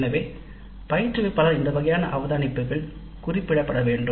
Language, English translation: Tamil, So these kind of observations by the instructor should be noted down